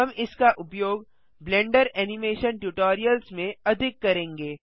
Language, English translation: Hindi, We will use this a lot in the Blender Animation tutorials